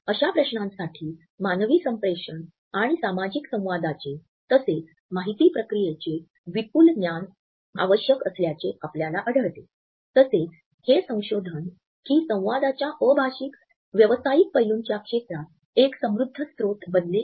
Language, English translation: Marathi, Since such questions require a diverse knowledge from human communication and social interaction, as well as information processing and learning, we find that research in the field of nonverbal aspects of communication has become a rich source